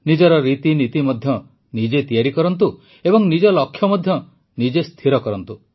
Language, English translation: Odia, Devise your own methods and practices, set your goals yourselves